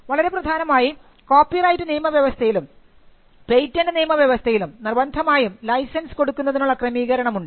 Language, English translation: Malayalam, And more importantly when you compare copyright regime and the patent regime, those two regimes allow for the issuance of a compulsory license